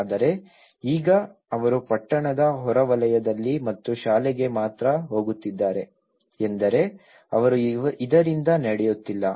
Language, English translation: Kannada, But now, they are walking on the periphery of the town and only to the school which means they are not walking from this